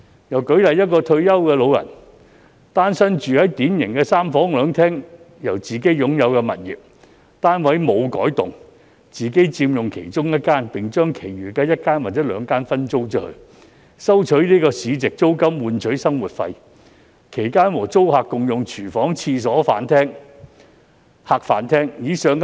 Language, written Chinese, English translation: Cantonese, 又舉例，一名住在典型三房兩廳自置物業的單身退休老人，未有改動其單位，自己佔用其中一間房間而將其餘一間或兩間分租，以收取市值租金作為生活費，其間和租客共用廚房、廁所及客、飯廳。, A retired elderly singleton is living in a self - owned flat with three bedrooms one living room and one dining room . The flat has not been altered . He stays in one room and sublets the other one or two spare rooms at market rent to supplement his living expenses